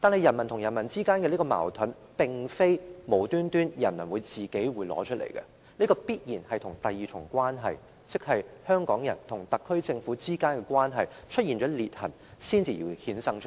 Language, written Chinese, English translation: Cantonese, 人民與人民之間的矛盾，並非由人民無故生起的，這必然是第二重關係，即香港人與特區政府之間的關係出現裂痕，才會衍生出來。, Conflicts among the people were not stirred up by the people without a cause . They were bound to develop from the splits in the second part of the relationship the relationship between the people of Hong Kong and the SAR Government